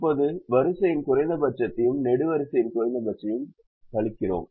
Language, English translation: Tamil, now we subtract the row minimum and the column minimum